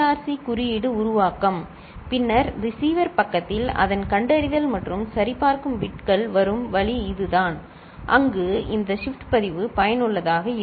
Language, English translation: Tamil, So, this is the CRC code generation and then, it is at the receiver side its detection and this is the way the check bits are coming and there this shift register is useful